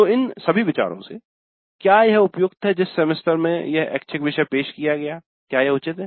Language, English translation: Hindi, So from all these considerations is it appropriate the semester in which this elective is offered is it appropriate